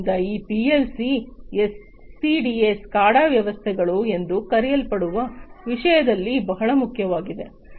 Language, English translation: Kannada, So, these PLC’s are very important in something known as the SCADA, SCADA systems, right